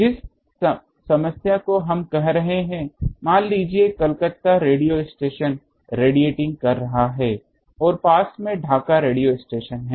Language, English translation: Hindi, Like the problem we are saying suppose Calcutta radio station is radiating and nearby there is Dhaka radio station